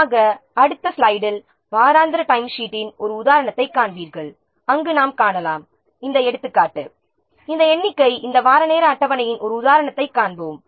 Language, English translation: Tamil, So, in next slide we will see an example of a weekly timesheet where we can see that this example this figure will see an example of this weekly time sheet